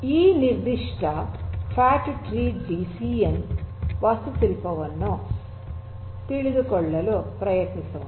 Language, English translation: Kannada, So, let us try to understand this particular fat tree DCN architecture